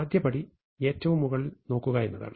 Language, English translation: Malayalam, So, the first step, is to look at the top most